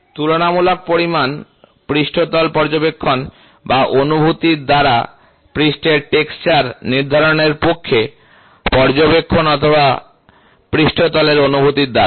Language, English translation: Bengali, Comparative measurement advocates assessment of surface texture by observation or feel of the surface